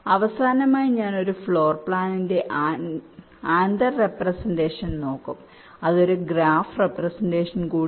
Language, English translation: Malayalam, ok, right, and lastly, i shall look at anther representation of a floor plan, which is also a graph representation